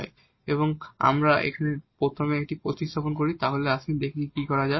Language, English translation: Bengali, Now, if we substitute this first here let us see what will happen